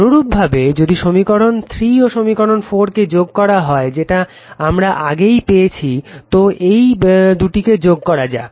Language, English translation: Bengali, Similarly, similarly you add equation your add equation 3 equation 3 and equation 4 already equation 3 equation 4 we have got it